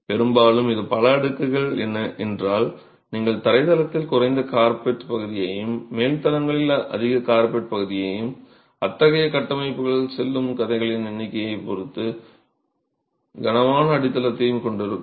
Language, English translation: Tamil, The downside is often if it is several stories you would have lower carpet area on the ground story, higher carpet area on the upper stories and heavy foundations depending on the number of stories such structures go to